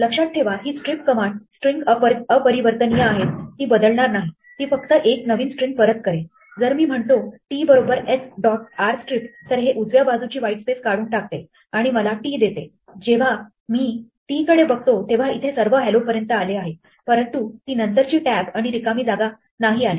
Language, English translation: Marathi, Remember this strip command strings are immutable right it won't change s it will just return a new string, if I say t is s dot r strip it will strip to the whitespace to the right and give me t, if I look at t it has everything up to hello but not that tab and the space afterwards